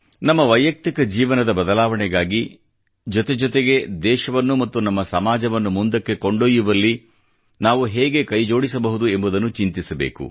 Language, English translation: Kannada, What exactly should we do in order to ensure a change in our lives, simultaneously contributing our bit in taking our country & society forward